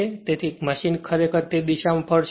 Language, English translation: Gujarati, So, machine will rotate in the same direction right